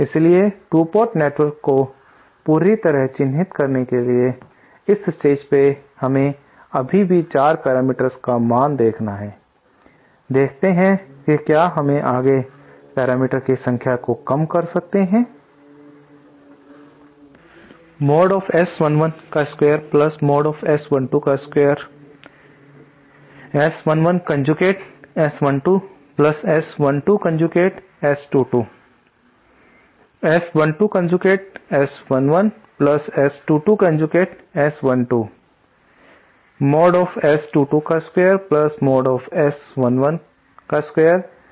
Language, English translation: Hindi, So to completely characterize the 2 port network mean at this stage we still mean 4 parameters, let us see whether we can further reduce the number of parameters